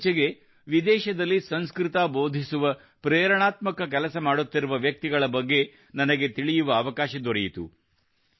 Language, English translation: Kannada, Recently, I got to know about many such people who are engaged in the inspirational work of teaching Sanskrit in foreign lands